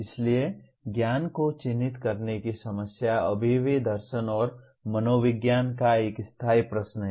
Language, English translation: Hindi, So, the problem of characterizing knowledge is still an enduring question of philosophy and psychology